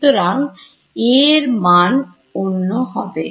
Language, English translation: Bengali, So, A also should be unique right